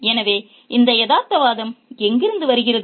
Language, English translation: Tamil, So, where does this realism come from